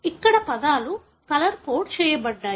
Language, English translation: Telugu, Here the words are colour coded